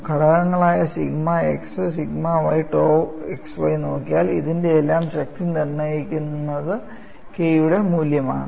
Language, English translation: Malayalam, See, if you look at the components, sigma x sigma y tau xy, the strength of all these are determined by the value of K